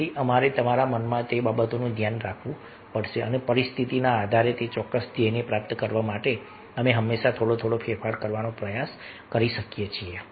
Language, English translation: Gujarati, so we have to take care of those things in your mind and, depending on the situation, we can always try to change little bit, save little bit to achieve that particular goal